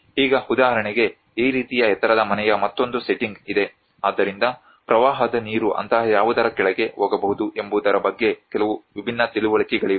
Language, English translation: Kannada, Now, for instance, there is another setting of this kind of a raised house so there are some different understanding how maybe the flood water can go beneath something like that